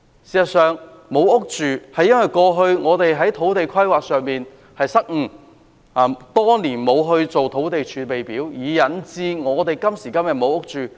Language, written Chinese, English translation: Cantonese, 事實上，沒有房屋居住，是因為過去的土地規劃失誤，多年來沒有製訂土地儲備，引致今時今日沒有住屋。, In fact the lack of housing is the result of land planning mistakes in the past . The Government has not set aside any land reserve for years and resulted in the inadequate supply of housing today